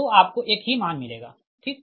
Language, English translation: Hindi, so this one will be zero, right